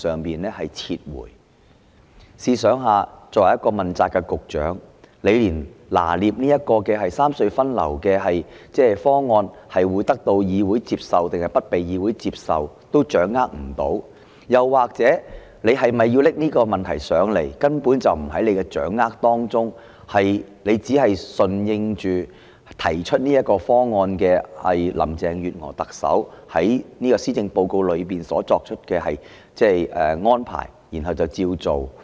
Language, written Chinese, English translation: Cantonese, 大家試想想，作為一個問責局長，連三隧分流方案會否得到議會接受也掌握不到，又或者局長根本掌握不到是否應向本會提交有關方案，他只是順應提出方案的林鄭月娥特首在施政報告內作出的安排，然後便照着辦。, Just think about it as an accountability official the Secretary could not even get his head around whether the traffic redistribution proposal would be accepted by the Council or whether the proposal should have been submitted to this Council at all . He only followed the arrangements set forth in the Policy Address delivered by Chief Executive Carrie LAM who put forward the proposal